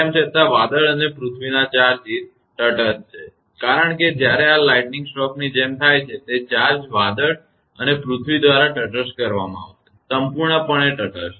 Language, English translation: Gujarati, Even though the cloud and earth charges are neutralized because when like this lightning stroke has happened; that charge through the cloud and earth will be neutralized; totally neutralized